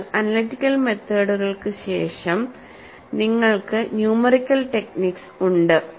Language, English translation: Malayalam, So, after analytical methods, you have numerical techniques